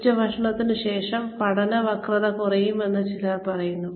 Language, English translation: Malayalam, Some people say that, the learning curve goes down, after lunch